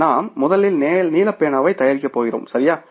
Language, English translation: Tamil, So, when we first manufacture the blue pen, right